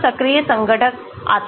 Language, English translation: Hindi, then the active ingredient comes in